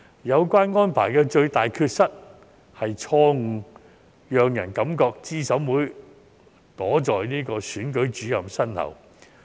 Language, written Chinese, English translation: Cantonese, 有關安排的最大缺失，是錯誤讓人感覺資審會躲在選舉主任身後。, The greatest deficiency of this arrangement is that it gives people the wrong impression that CERC is hiding behind the Returning Officer